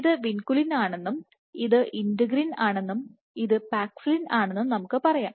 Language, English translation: Malayalam, Let us say let us say this is vinculin, this is integrin and this is paxillin